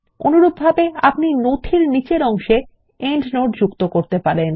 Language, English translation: Bengali, Likewise, you can insert an endnote at the bottom of the document